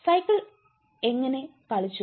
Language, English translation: Malayalam, how did the cycle play out